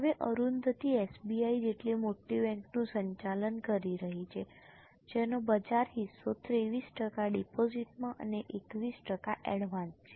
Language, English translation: Gujarati, Now Arundati ji is managing a bank as big as SBI, which has a market share of 23% in deposit and 21% in advance